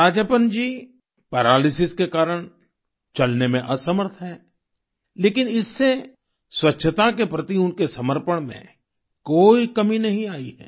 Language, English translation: Hindi, Due to paralysis, Rajappan is incapable of walking, but this has not affected his commitment to cleanliness